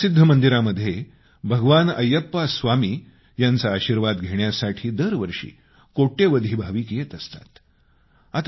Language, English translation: Marathi, Millions of devotees come to this world famous temple, seeking blessings of Lord Ayyappa Swami